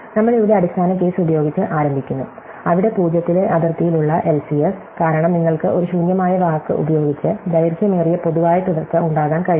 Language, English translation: Malayalam, So, we start with the base case, where the LCS at the boundary is 0, because you cannot have a longest common subsequence with an empty word